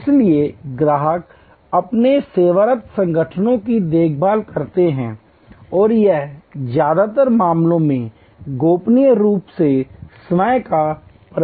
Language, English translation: Hindi, So, customers care for their serving organizations and that is a self management of confidentially in most cases